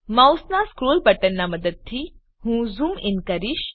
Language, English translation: Gujarati, I will zoom in using the scroll button of the mouse